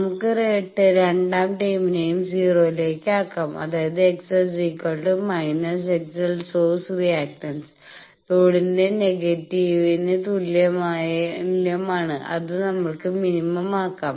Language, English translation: Malayalam, So, this we can enforce second term can be forced to 0; that means, we can force x s is equal to minus x l source reactance is equal to negative of load that we will make it minimum